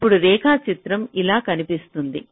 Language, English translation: Telugu, so now the diagram will look something like this